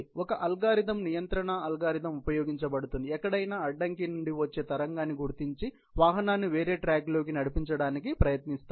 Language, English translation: Telugu, An algorithm, control algorithm is used, wherever there is a reflected wave coming out of an obstacle; just tried to direct the vehicle into a different track ok